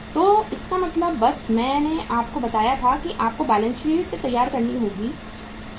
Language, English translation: Hindi, So it means just I had told you that you will have to prevent the balance sheet also